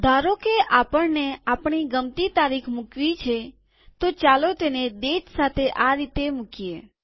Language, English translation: Gujarati, Suppose that we want to put our own date, let us enter it with date first as follows